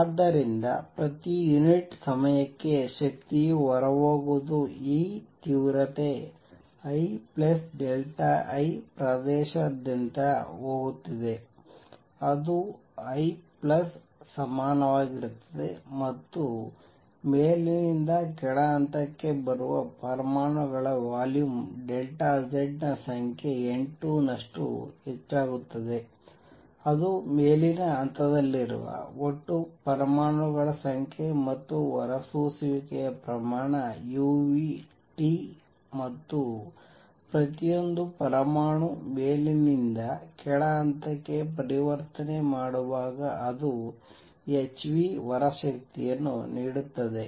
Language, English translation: Kannada, So, per unit time energy going out is going to be E intensity I plus delta I going across the area a is going to be equal to I a plus the number of atoms which are coming from upper to lower level is going to be N 2 times the volume a delta Z; that is a total number of atoms that are in the upper level and the rate of emission is u nu T